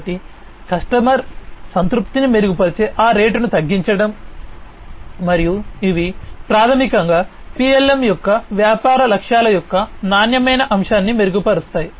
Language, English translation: Telugu, So decreasing that rate improving the customer satisfaction and so on, these are basically improving quality aspect of the business objectives of PLM